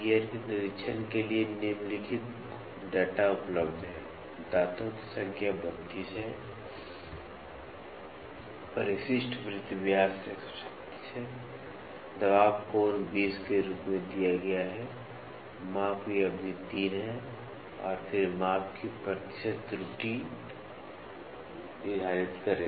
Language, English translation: Hindi, The following data is available for the gear being inspected; the number of teeth is 32, addendum circle diameter is 136, pressure angle is given as 20; the span of measurement is 3, and then determine the percentage error of measurement